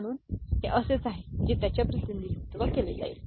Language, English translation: Marathi, So, this is the way it is it be represented